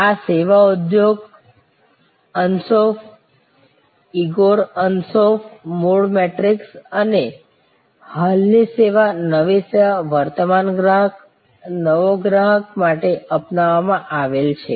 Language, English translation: Gujarati, This is the adopted for the service industry Ansoff, Igor Ansoff original matrix and existing service new service; existing customer, new customer